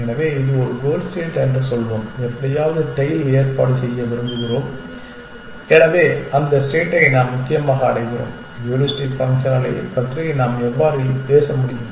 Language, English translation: Tamil, So, let us say this is a goal state and we want to somehow arrange the tail, so we reach that state essentially how can we talk about heuristic functions can you think of heuristic function